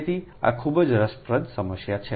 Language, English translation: Gujarati, so this a very interesting problem